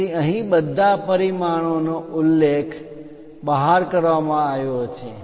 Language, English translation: Gujarati, So, all the dimensions are mentioned here on the outside